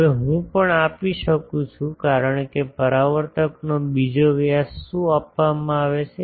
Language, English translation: Gujarati, Now, also I can since the a is given, what else that diameter of the reflector is given